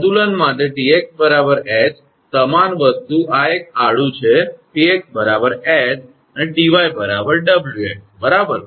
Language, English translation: Gujarati, For equilibrium, T x is equal to H same thing this is the horizontal one T x is equal to H and T y is equal to Wx right